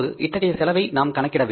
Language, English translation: Tamil, So we will have to calculate this cost